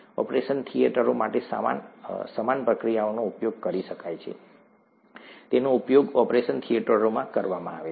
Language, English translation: Gujarati, A similar procedure can be used for operation theatres, it has been used for operation theatres